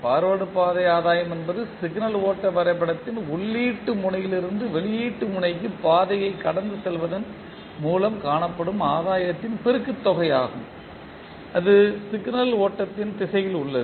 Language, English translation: Tamil, Forward Path gain is the product of gain found by traversing the path from input node to the output node of the signal flow graph and that is in the direction of signal flow